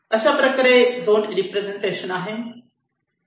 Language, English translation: Marathi, and this is just a zone representation